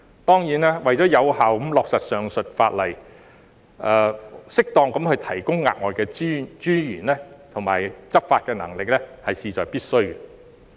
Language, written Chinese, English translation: Cantonese, 當然，為了有效地落實上述法例，適合地提供額外資源和加強執法能力，是事在必須的。, For the purpose of effective implementation of the aforesaid legislation it is certainly necessary toprovide additional resources and strengthen the enforcement capacity as appropriate